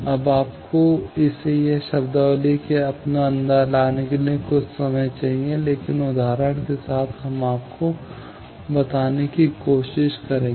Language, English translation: Hindi, Now, you need some time to get it inside you that this terminology; but, with examples, we will try to tell you